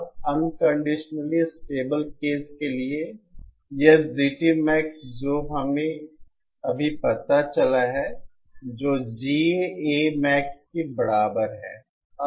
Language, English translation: Hindi, Now for the unconditionally stable case, this GT Max that we just found out which is equal to GA Max